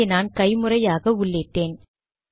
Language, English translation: Tamil, I entered this manually